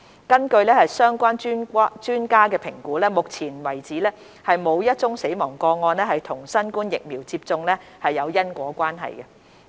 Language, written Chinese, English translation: Cantonese, 根據相關專家的評估，目前為止沒有一宗死亡個案與新冠疫苗接種有因果關係。, According to the assessment of the relevant experts so far no death case has been proven to have a causal relationship with the administration of COVID - 19 vaccines